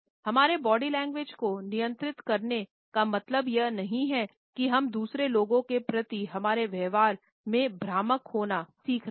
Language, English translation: Hindi, Controlling our body language does not mean that we have to learn to be deceptive in our behaviour towards other people